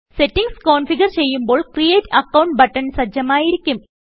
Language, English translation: Malayalam, When the settings are configured manually, the Create Account button is enabled